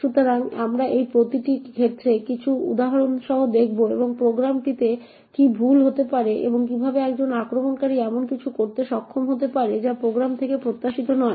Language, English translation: Bengali, So, we will look at each of these cases with some examples and see what could go wrong in the program and how an attacker could be able to do something which is not expected of the program